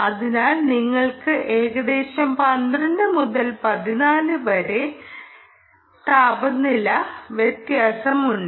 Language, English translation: Malayalam, so you can have roughly ah anywhere between twelve to fourteen delta t temperature differential